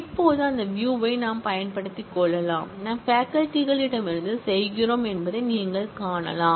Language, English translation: Tamil, Now, we can make use of that view, you can see that we are doing from faculty